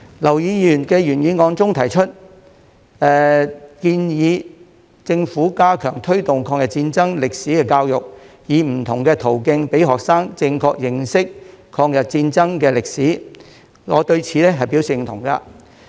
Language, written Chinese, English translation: Cantonese, 劉議員的原議案中提出，建議政府加強推動抗日戰爭歷史的教育，以不同途徑讓學生正確認識抗日戰爭的歷史，我對此表示認同。, As proposed in Mr LAUs original motion the Government should step up the promotion of education on the history of the War of Resistance to facilitate students correct understanding of the history of the War of Resistance through different channels . I agree with such proposals